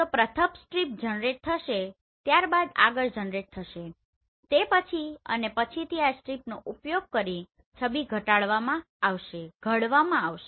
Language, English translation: Gujarati, So first strip will be generated then next will be generated then so on and subsequently using this strips image will be formulated right